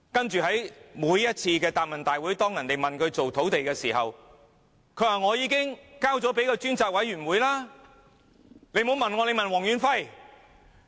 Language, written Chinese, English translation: Cantonese, 在每次答問會上，當議員問她如何處理土地問題時，她也說已經交由專責委員會處理，不要問她，問黃遠輝。, Whenever she attends any question and answer sessions and when Members ask her how she is dealing with the land problem she will invariably say she has assigned the job to the task force . She will say people should ask Stanley WONG instead